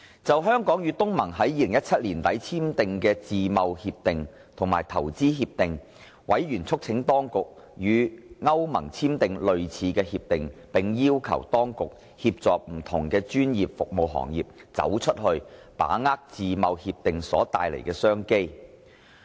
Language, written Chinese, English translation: Cantonese, 就香港與東南亞國家聯盟於2017年年底簽訂的自由貿易協定和投資協定，委員促請當局與歐洲聯盟簽訂類似協定，並要求當局協助不同專業服務行業"走出去"，把握自貿協定所帶來的商機。, On the Free Trade Agreement FTA and a related Investment Agreement signed between Hong Kong and the Association of Southeast Asian Nations in 2017 members urged the authorities to forge a similar FTA with the European Union and requested the authorities to assist various sectors of professional services to go global and grasp the business opportunities provided by FTA